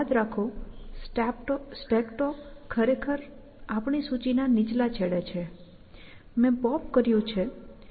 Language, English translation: Gujarati, Remember, the top of the stack is actually, at the lower end of our list; I have popped this